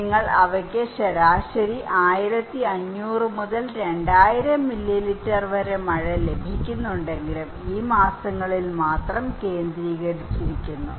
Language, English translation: Malayalam, So they have average rainfall of 1500 to 2000 millimetre but concentrated only in these months